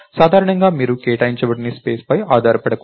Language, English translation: Telugu, In general, you should not rely on the space to be unallocated